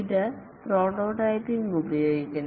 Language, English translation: Malayalam, It uses prototyping